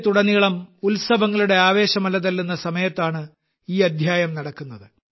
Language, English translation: Malayalam, This episode is taking place at a time when the entire country is enveloped in the fervour of festivities